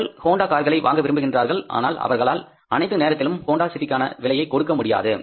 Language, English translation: Tamil, People want to buy Honda cars but they cannot afford all the times Honda City